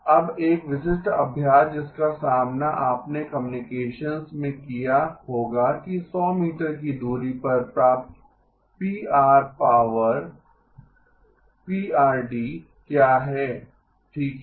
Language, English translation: Hindi, Now a typical exercise that you would have encountered in communications is what is the received power Pr of d at a distance of 100 meters okay